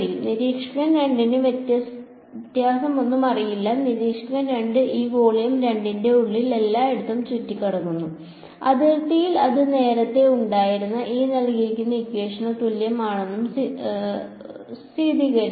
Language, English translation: Malayalam, Observer 2 will not know any difference, observer 2 walks around everywhere inside this volume 2 and at the boundary it just verifies n cross E 2 is equal to what it was earlier